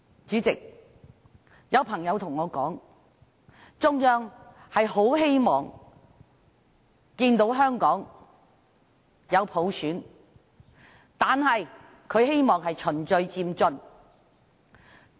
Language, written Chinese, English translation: Cantonese, 主席，有朋友對我說，中央很希望看到香港有普選，但希望是循序漸進的。, President some friends of mine have told me that it is the Central Authorities earnest hope to implement universal suffrage in Hong Kong but we must proceed in a gradual manner